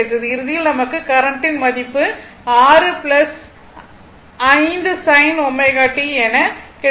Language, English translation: Tamil, Ultimately, the current value was 6 plus 5 sin omega t right